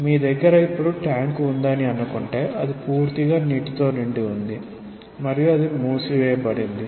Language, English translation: Telugu, Say you have a tank now it is completely filled with water and it is closed